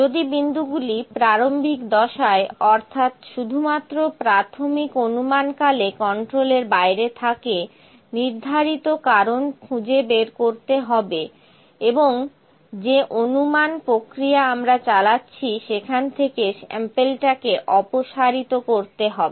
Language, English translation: Bengali, If points are out of control during the initial phase that is during the initial estimation only, the assignable cause should be determine and the sample should be removed from the at estimation that we have been doing